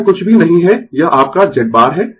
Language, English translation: Hindi, So, this is nothing, this is your Z bar right